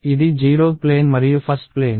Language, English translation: Telugu, This is the 0 th plane and the 1 th plane